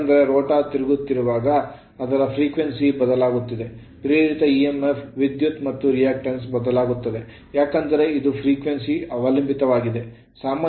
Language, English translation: Kannada, Because when a rotar rotating its frequency is changing a induced emf current as well as the reactance also because this is this is f right